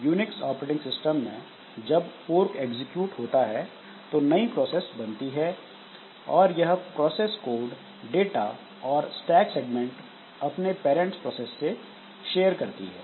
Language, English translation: Hindi, So, when in case of Unix operating system what happens is that when the fork is executed, the new process that is created, so it will be sharing the code data and stack segment with the parent process in some sense